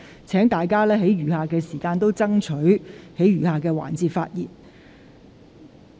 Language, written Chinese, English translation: Cantonese, 請大家在餘下的二讀辯論時間把握機會發言。, Will Members please take the opportunity to speak in the remaining time of the Second Reading debate